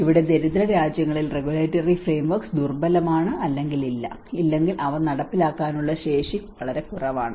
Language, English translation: Malayalam, Here in poorer countries, the regulatory frameworks are weak or absent, or the capacity to enforce them is lacking